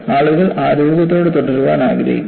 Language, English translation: Malayalam, People want to remain healthy